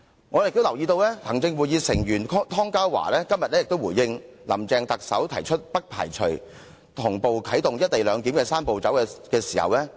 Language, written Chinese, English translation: Cantonese, 我也留意到行政會議成員湯家驊今天就特首"林鄭"提出不排除同步啟動"一地兩檢""三步走"的回應。, I also note how Executive Council Member Ronny TONG has responded to Chief Executive Carrie LAMs remark of not ruling out the possibility of activating the Three - step Process in parallel